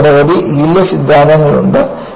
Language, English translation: Malayalam, And, you had several yield theories